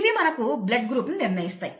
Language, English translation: Telugu, These determine the blood group as for us